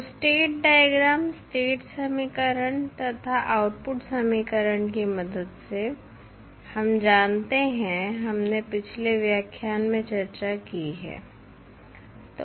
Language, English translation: Hindi, So, with the help of state diagram, state equation and output equation we know we have discussed in the previous lectures